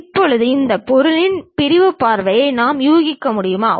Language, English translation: Tamil, Now, can we guess sectional views of this object